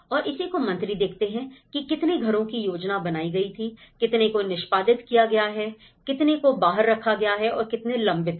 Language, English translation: Hindi, And that is what ministers look at, how many number of houses were planned, how many have been executed, how many have been laid out and how many are pending